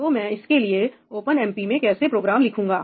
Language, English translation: Hindi, So, how do I write an OpenMP program for that